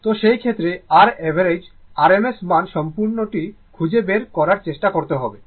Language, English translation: Bengali, So, in that case you have to, but when you try to find out that your average rms value, you have to complete